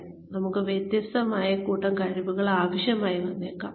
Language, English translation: Malayalam, We may need a different set of skills here